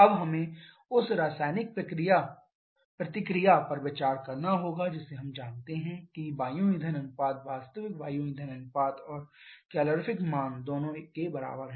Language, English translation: Hindi, Now we have to consider the chemical reaction we know the air fuel ratio to be equal to actual air fuel ratio and calorific value both are given